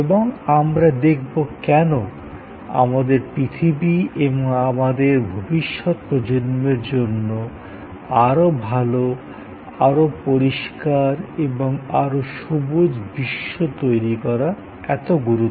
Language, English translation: Bengali, And we will see, why it is important for our planet and for our future generations to create a better, cleaner, greener world